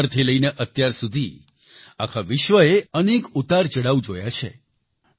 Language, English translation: Gujarati, Since then, the entire world has seen several ups and downs